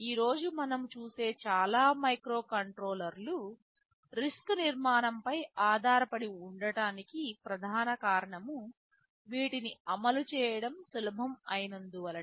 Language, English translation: Telugu, Most of the microcontrollers that we see today they are based on the RISC architecture, because of primarily this reason, they are easy to implement